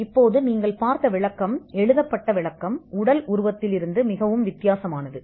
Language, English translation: Tamil, Now, the description as you just saw, the written description is much different from the physical embodiment itself